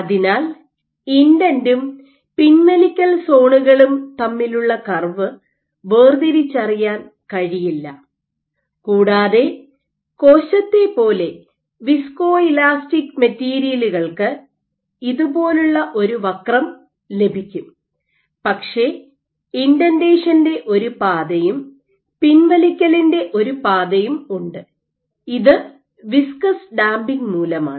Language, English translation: Malayalam, So, the curve is indistinguishable between the indent and the retract zones and if the material is viscoelastic like a cell you get a curve like this, but there is one path of indentation and one part of retraction; suggestive of viscous damping